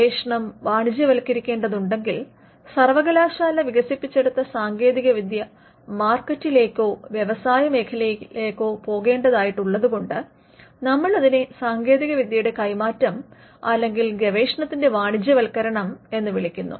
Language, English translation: Malayalam, So, we use these words interchangeably a research if research needs to be commercialized, then the technology developed in the university has to go to the market or to the industry players